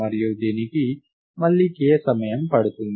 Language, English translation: Telugu, And this again takes k time